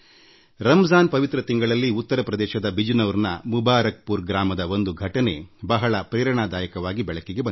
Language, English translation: Kannada, In this holy month of Ramzan, I came across a very inspiring incident at Mubarakpur village of Bijnor in Uttar Pradesh